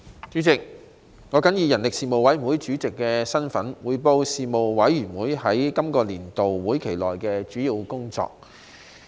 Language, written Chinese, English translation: Cantonese, 主席，我謹以人力事務委員會主席的身份，匯報事務委員會在今個年度會期內的主要工作。, President in my capacity as Chairman of the Panel on Manpower the Panel I report on the major work of the Panel for this session